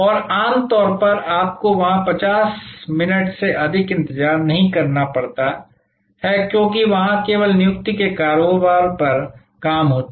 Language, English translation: Hindi, And usually you do not have to wait more than 50 minutes there, because there only operate on the business of appointment